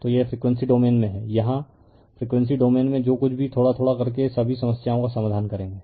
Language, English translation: Hindi, So, this is in the frequency domain here will solve all the problem in whatever little bit in frequency domain